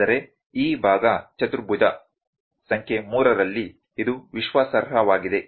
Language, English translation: Kannada, But in this part quadrant number 3, it is reliable